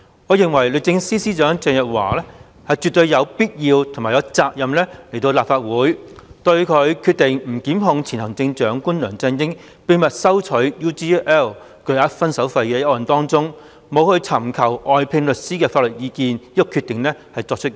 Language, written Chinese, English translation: Cantonese, 我認為，律政司司長鄭若驊絕對有必要和有責任前來立法會，交代她就前行政長官梁振英秘密收取 UGL Limited 巨額"分手費"作出不檢控決定前拒絕尋求外聘律師法律意見一事。, In my view it is absolutely necessary for Secretary for Justice Teresa CHENG and also her obligation to give an account in the Legislative Council on the refusal to seek legal advice from outside counsel before making the decision of not prosecuting former Chief Executive LEUNG Chun - ying for his undisclosed acceptance of a substantial parting fee from UGL Limited UGL